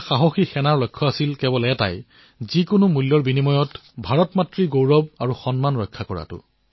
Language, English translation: Assamese, Our brave soldiers had just one mission and one goal To protect at all costs, the glory and honour of Mother India